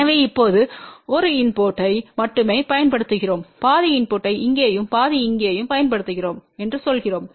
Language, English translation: Tamil, So, now, applying only input of 1 suppose we say that we apply input of half here and half here